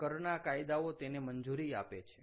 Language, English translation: Gujarati, that tax rules, tax laws, allow for that